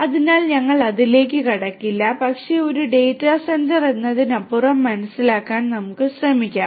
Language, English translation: Malayalam, So, we will not get into that, but let us try to understand beyond what is a data centre